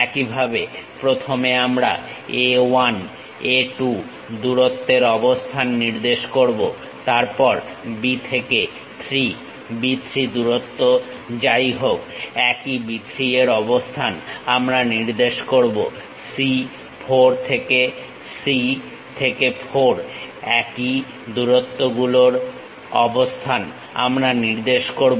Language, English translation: Bengali, In the similar way first we locate A 1, A 2, length then B to 3 whatever the B 3 length we have same B 3 we will locate it; from C 4 C to 4 same length we will locate it